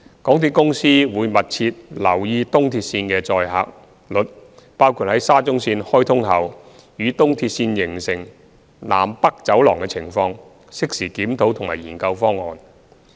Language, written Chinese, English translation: Cantonese, 港鐵公司會密切留意東鐵線的載客率，包括在沙中線開通後與東鐵線形成"南北走廊"的情況，適時檢討及研究方案。, MTRCL will closely monitor the loading of ERL including the loading upon the commissioning of SCL which will form the North South Corridor with ERL . The Corporation will review and study proposals in this regard in a timely manner